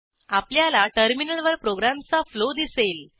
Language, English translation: Marathi, We can see the flow of the program on terminal